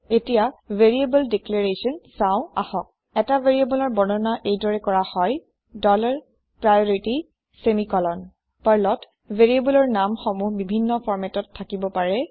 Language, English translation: Assamese, Let us look at Variable Declaration: A variable can be declared as follows: dollar priority semicolon Variable names in Perl can have several formats